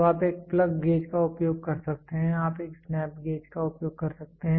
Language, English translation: Hindi, So, you can use a plug gauge you can use a snap gauge